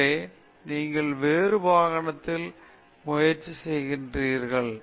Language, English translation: Tamil, So, you try in some other vehicle